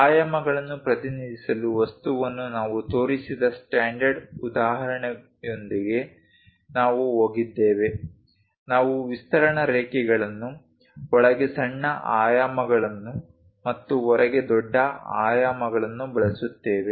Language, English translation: Kannada, We went with a standard example where we have shown for an object to represent dimensions, we use the extension lines, smallest dimensions inside and largest dimensions outside